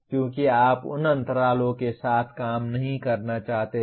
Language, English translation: Hindi, Because you do not want to work with those gaps